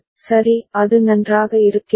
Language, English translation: Tamil, right is it fine